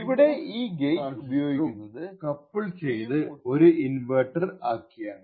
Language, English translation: Malayalam, Like for instance this gate over here uses a PMOS and an NMOS transistor coupled together to form an inverter